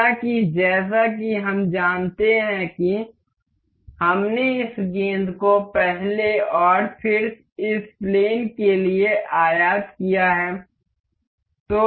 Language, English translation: Hindi, However, as we know that we I have imported this ball for the first and then the this plane